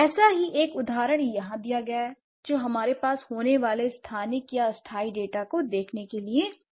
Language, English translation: Hindi, And one such example is given here to look at the spatial or temporal data that we have